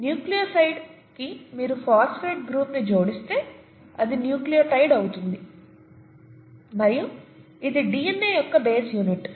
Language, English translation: Telugu, To a nucleoside if you add a phosphate group, it becomes a nucleotide, okay